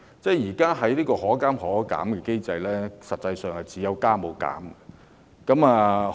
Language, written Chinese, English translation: Cantonese, 在現行的可加可減機制下，票價實際上是有加無減。, Under the existing mechanism which provides for both upward and downward adjustments fares have actually kept increasing with no reduction